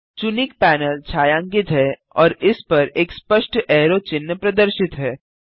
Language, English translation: Hindi, The chosen panel is shaded and a clear arrow sign appears over it